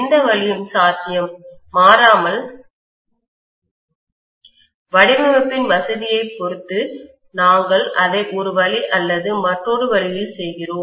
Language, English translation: Tamil, Invariably, depending upon the convenience of the design, we do it one way or the other